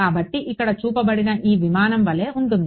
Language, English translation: Telugu, So, like this aircraft that has been shown over here